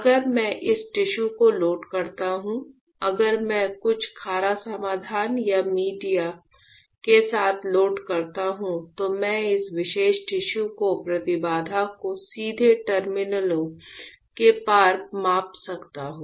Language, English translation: Hindi, If I load the tissue on this right; if I load with some saline solution or media I can measure the impedance of this particular tissue right across the terminals right